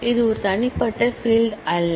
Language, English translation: Tamil, It is not an individual field